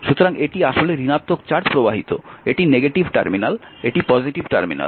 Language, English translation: Bengali, So, this is actually negative charge flowing, this is the negative terminal, this is the positive terminal